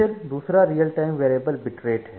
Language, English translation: Hindi, Then the second one is the real time variable bit rates